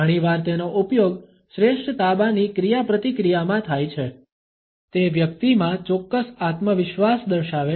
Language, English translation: Gujarati, Very often it is used in a superior subordinate interaction; it indicates confidence in a person a certain self assurance